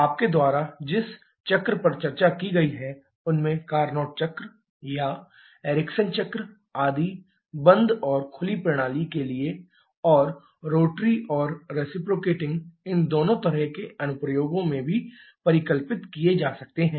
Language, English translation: Hindi, The cycle that you have discussed among them the Carnot cycle or Ericsson cycle etc can be conceptualized for both closed and open systems and also for both rotary and reciprocating kind of applications